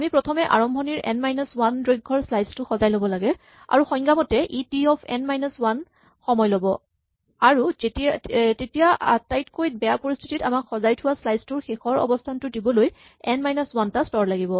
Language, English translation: Assamese, We first have to sort the initial slice of length n minus 1 and by definition, this will take time T of n minus 1 and then, we need n minus 1 steps in the worst case to insert the last position into the sorted slice